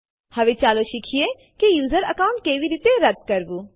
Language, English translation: Gujarati, Now let us learn how to delete a user account